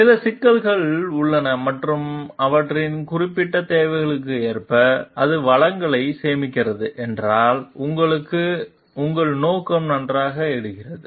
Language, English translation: Tamil, So and if, there are certain issues and according to their specific needs and it saves resources to intention here is fine